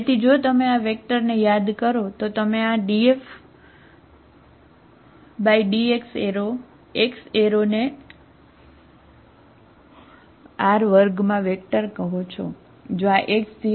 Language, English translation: Gujarati, Df, so if you call this vector, you call this D F by Dx bar, x bar is a vector in R2, plain vector, okay